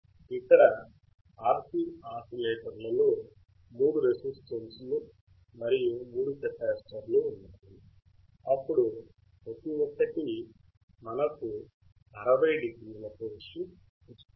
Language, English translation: Telugu, In RC oscillators here, there are 3 R and 3 C, then each one will each one give us 60o phase shift